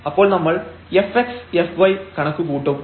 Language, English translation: Malayalam, So, we need to compute the fx